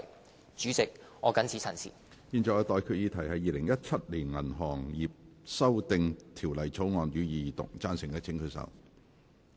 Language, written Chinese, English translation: Cantonese, 我現在向各位提出的待決議題是：《2017年銀行業條例草案》，予以二讀。, I now put the question to you and that is That the Banking Amendment Bill 2017 be read the Second time